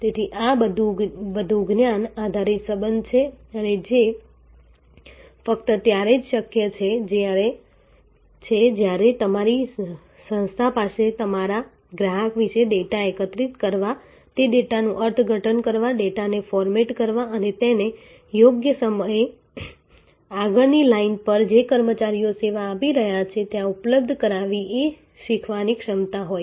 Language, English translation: Gujarati, So, this is a more knowledge based relationship and which is only possible if your organization has the learning capability of about your customer to gather data, to interpret that data, to format the data and make it available at the right time to the front line personnel who are giving the service